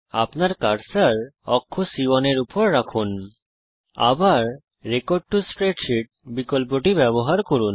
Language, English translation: Bengali, Place your cursor on cell C1, again use the record to spreadsheet option